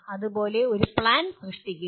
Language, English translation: Malayalam, Similarly, create a plan